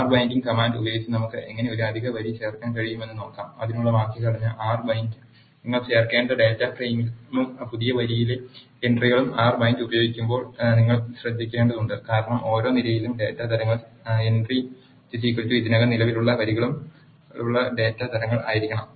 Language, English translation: Malayalam, Let us see how we can add an extra row using r bind command the syntax for that is r bind, the data frame to which you want add and the entries for the new row you have to add you have to be careful when using r bind because the data types in each column entry should be equal to the data types that are already existing rows